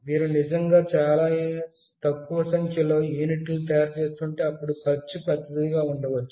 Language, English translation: Telugu, If you are really manufacturing a very small number of units, then the cost might be large